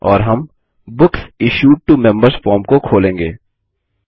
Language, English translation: Hindi, And, we will open the Books Issued to Members form